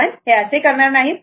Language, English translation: Marathi, We will not do that